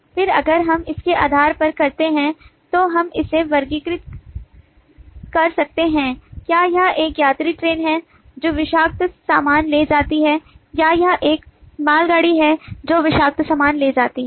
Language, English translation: Hindi, again, if we do based on this, then we can sub classify that is it a passenger train which carries toxic goods or is it a goods train which carries toxic goods